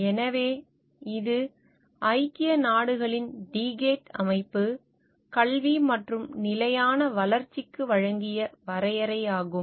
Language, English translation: Tamil, So, this is a definition given by United Nations Decade of Education for sustainable development